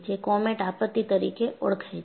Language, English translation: Gujarati, This is a comet disaster